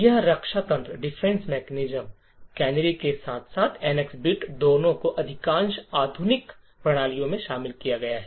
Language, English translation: Hindi, So, both this defense mechanisms the canaries as well as the NX bit are incorporated in most modern systems